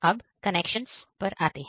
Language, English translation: Hindi, Now coming to the connections